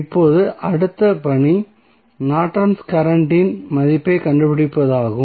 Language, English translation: Tamil, Now, next task is to find out the value of Norton's current